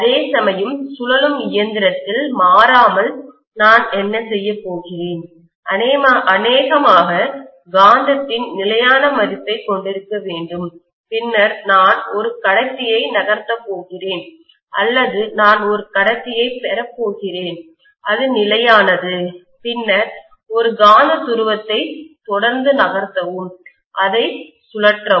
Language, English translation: Tamil, Whereas in a rotating machine, invariably, what I am going to do is, to probably have a constant value of magnetism and then I am going to move a conductor, or, I am going to have a conductor which is stationary and then move a magnetic pole continuously, rotate it